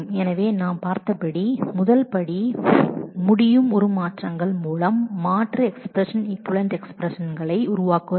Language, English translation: Tamil, So, as we have seen the first step is to be able to generate alternate expressions equivalent expressions through transformations